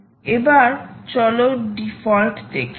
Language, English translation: Bengali, so lets move on default